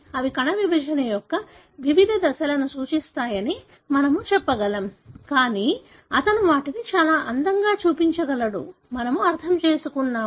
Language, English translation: Telugu, We are able to tell that they represent different stages of the cell division; but he is able to show them so beautifully, we have understood